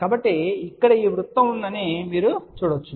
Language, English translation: Telugu, So, you can see there is a this circle here